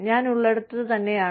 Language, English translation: Malayalam, And, right, where I am